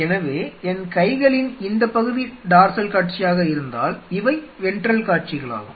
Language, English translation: Tamil, So, if this part of my hands is dorsal view and these are the ventral views